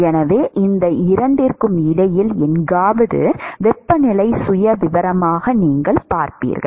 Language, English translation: Tamil, And so, you will see as temperature profile which is somewhere in between these two